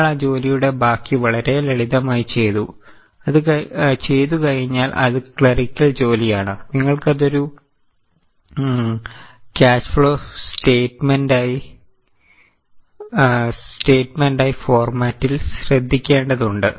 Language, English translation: Malayalam, Once you have done that, rest of the job is very simple, it is just a clerical work you have to note it in the format as a cash flow set